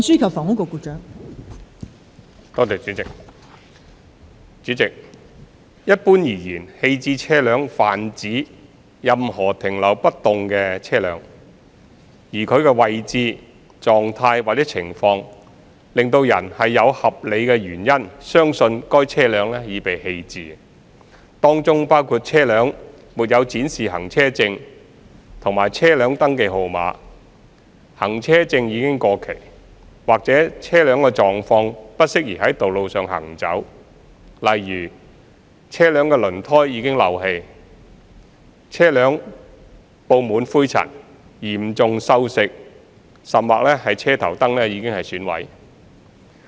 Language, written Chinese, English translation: Cantonese, 代理主席，一般而言，棄置車輛泛指任何停留不動的車輛，而其位置、狀態或情況使人有合理原因相信該車輛已被棄置，當中包括車輛沒有展示行車證和車輛登記號碼、行車證已過期，或車輛狀況不適宜在道路上行走，例如車輛輪胎已漏氣、車輛布滿灰塵、嚴重鏽蝕，甚或車頭燈已損毀等。, Deputy President generally speaking an abandoned vehicle refers to a vehicle that remains stationary in such a position or in such conditions or circumstances that there is reasonable cause to believe that the vehicle has been abandoned . Such situations include no vehicle licence and no vehicle registration number being displayed on the vehicle the vehicle licence having expired or the vehicle not being roadworthy for example with tires leaking dusty severely rusted or headlights damaged